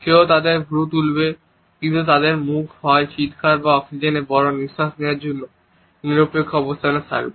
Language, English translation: Bengali, Someone will raise their eyebrows, but their mouth will also be in a neutral position to either scream or taking a big breath of oxygen